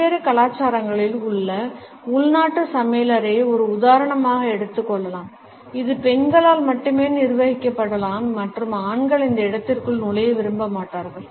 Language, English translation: Tamil, The domestic kitchen in various cultures can be taken as an example which can be governed only by women and men would not prefer to enter this space